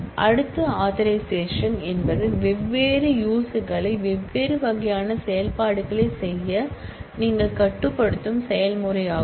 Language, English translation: Tamil, Next, authorization is the process by which you restrict different users to be able to do different kind of operations